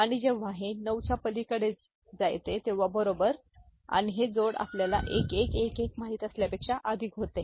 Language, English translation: Marathi, And when it goes beyond 9 go, right and this addition becomes more than you know 1111